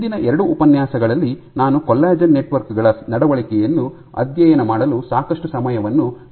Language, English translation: Kannada, So, over the last 2 lectures I had spent considerable amount of time in studying the behavior of collagen networks right